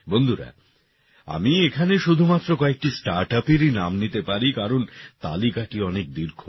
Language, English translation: Bengali, Friends, I can mention the names of only a few Startups here, because the list is very long